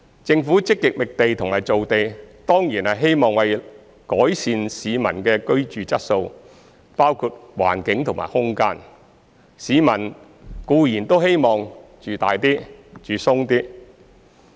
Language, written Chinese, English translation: Cantonese, 政府積極覓地和造地當然是希望改善市民的居住質素，包括環境和空間，市民固然都希望"住大啲、住鬆啲"。, In actively identifying and creating land the Government certainly seeks to improve the peoples quality of living including the environment and space as there is no doubt that people wish to have a more spacious living environment